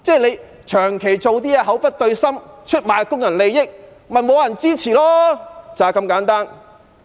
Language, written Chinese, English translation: Cantonese, 他長期做事口不對心，出賣工人利益，當然沒有人支持，就是這麼簡單。, All along he has not been acting sincerely betraying the interests of labour . It is due to this simple reason that no one supports him